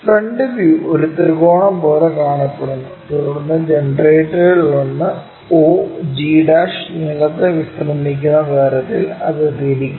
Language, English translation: Malayalam, Have a front view which looks like a triangle, then rotate it in such a way that one of the generator may be og' resting on the ground